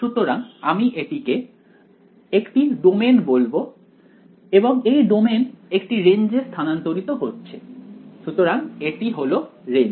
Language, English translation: Bengali, So, I will call this a domain and the domain gets mapped to the range right; so this is the range ok